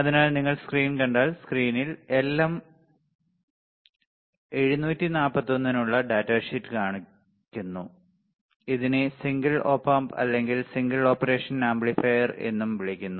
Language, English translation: Malayalam, So, if you see the screen the screen shows the data sheet for LM 741, it is also called single op amp or single operational amplifier